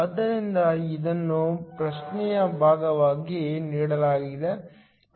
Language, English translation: Kannada, So, this is given as part of the question